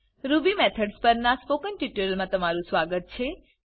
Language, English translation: Gujarati, Welcome to the Spoken Tutorial on Ruby Methods